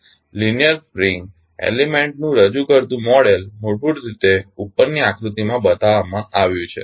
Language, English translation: Gujarati, The model representing a linear spring element is basically shown in the figure above